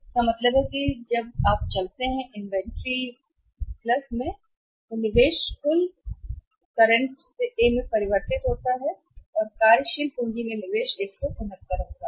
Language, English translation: Hindi, So, it means when you move from current to A change in the investment total investment that is a investment in inventory + investment in the net working capital will be 169